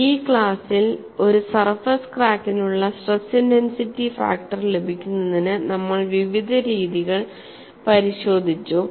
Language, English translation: Malayalam, In this class essentially we looked at various methodologies to get the stress intensity factor for a surface crack